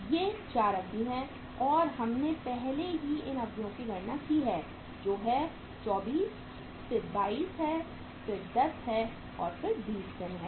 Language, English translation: Hindi, These are the 4 durations and we have already calculated these durations 24 then is 22 then it is 10 then it is 20 days